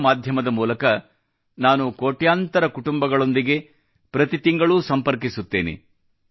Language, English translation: Kannada, Through radio I connect every month with millions of families